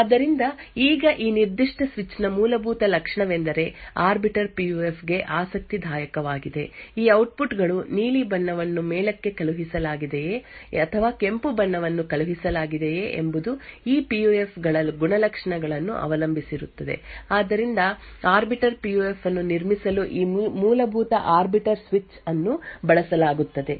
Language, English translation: Kannada, So now the fundamental feature about this particular switch that makes it interesting for the Arbiter PUF is that these outputs whether the blue is sent on top or the red is sent on top depends on the characteristics of these PUFs, so this fundamental arbiter switch is used to build an Arbiter PUF